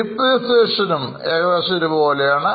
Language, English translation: Malayalam, Depreciation is also more or less constant